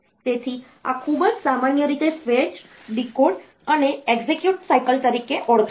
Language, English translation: Gujarati, So, this is very commonly known as fetch, decode, and execute cycle